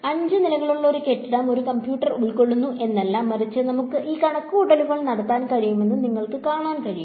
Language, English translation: Malayalam, It is not that a computer occupies a building a five story building, but it is getting that you can see that we can do this calculation